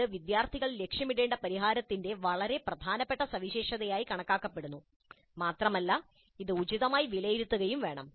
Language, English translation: Malayalam, That is considered as very important feature of the solution that the students must aim it and it must be assessed appropriately